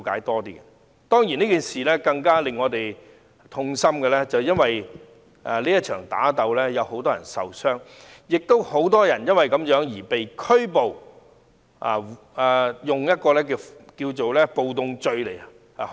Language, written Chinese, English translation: Cantonese, 當然，更令我們感到痛心的是，這場打鬥中很多人受傷，亦有很多人因而被捕及被控暴動罪。, Of course what breaks our hearts is that many people were injured in this fight and many were arrested and charged with rioting offence